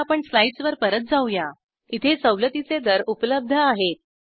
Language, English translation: Marathi, Let us go back to the slides, There are concessional rates available